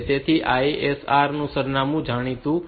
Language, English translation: Gujarati, So, the ISR address is known